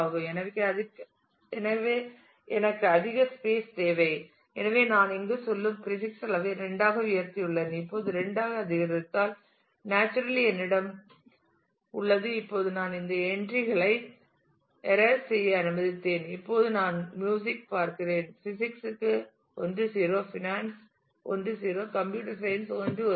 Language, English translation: Tamil, So, I need more space; so, I have increased the prefix level to 2 going here and now naturally I have if I have increases to 2; now I have let me erase this these entries and now I look at for music I look at 2 for physics 1 0, for finance 1 0, for computer science 1 1